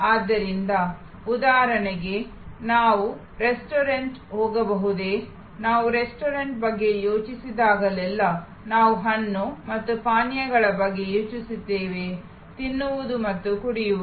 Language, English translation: Kannada, So, for example can we have a restaurant, whenever we think of a restaurant, we think of fruit and beverage, eating and drinking